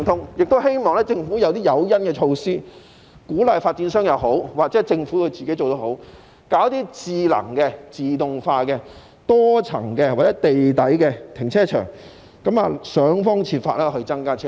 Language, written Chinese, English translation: Cantonese, 我亦希望政府提供誘因，無論是鼓勵發展商或政府自己帶頭做也好，興建一些智能和自動化的多層或地下停車場，設法增加泊車位。, I also hope that the Government will either provide incentives for developers or take the lead to build smart and automated multi - storey or underground car parks in order to increase the supply of parking spaces by all means